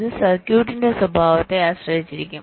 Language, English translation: Malayalam, this may so happen depending on the behavior of the circuit